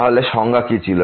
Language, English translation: Bengali, So, what was the definition